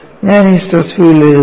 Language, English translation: Malayalam, And I am writing the stress field